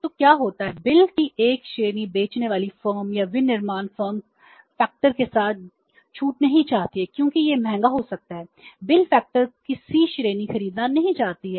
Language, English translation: Hindi, A category of the bills, the selling firm or the manufacturing firm doesn't want to discount with the factor because it becomes expensive